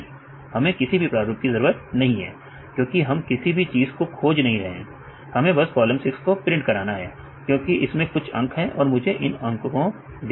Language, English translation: Hindi, We don’t need any pattern because we are not looking for anything, just we want to print the column 6 because it contains some numbers; I want to see the numbers